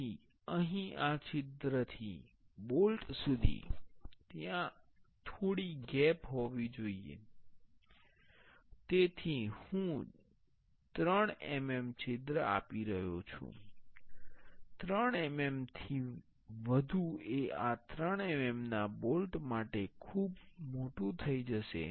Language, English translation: Gujarati, So, here from this hole to the bolt, there should be some gap that is why I am giving the 3 mm hole; more than 3 mm will be too large for the 3 mm bolt